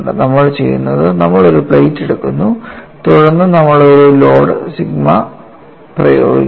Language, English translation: Malayalam, And what we are doing is, we are taking a plate and then, we are applying a load sigma and I am considering one crack tip